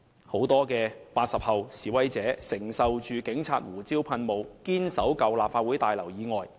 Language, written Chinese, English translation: Cantonese, 很多 "80 後"示威者面對着警察的胡椒噴霧，仍堅守在舊立法會大樓外。, Though battered by police pepper spray many demonstrators born in the 1980s still held their ground outside the Legislative Council Building